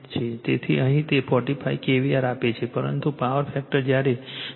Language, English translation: Gujarati, So, here it is give it 45 kVAr, but power factor is when 0